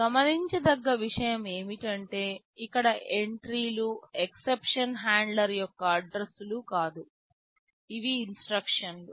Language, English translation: Telugu, The point to notice is that entries out here, these are not addresses of interrupt handler rather these are instructions